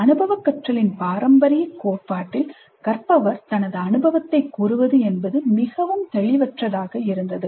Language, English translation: Tamil, In the traditional theory of experiential learning, the experience negotiated by the learner was quite vague